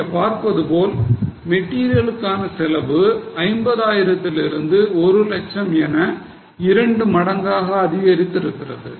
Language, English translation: Tamil, As you can see, the cost of material has increased from 50,000 to 1 lakh